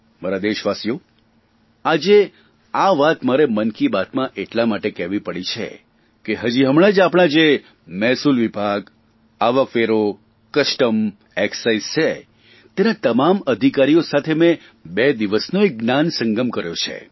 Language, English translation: Gujarati, My dear countrymen, I had to talk about this in Mann Ki Baat today because recently I held a twoday conclave with the Revenue Departments all the officials of the Income Tax, Customs and Excise Departments